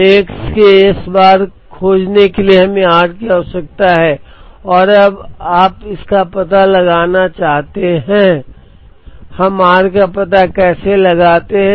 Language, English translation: Hindi, So, in order to find S bar of x we need r and now you want to find out; how do we find out r